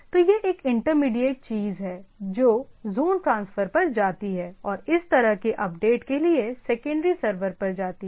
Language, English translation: Hindi, So, that is a intermediate things, which goes on to the zone transfer and goes on for this sort of update to the secondary servers right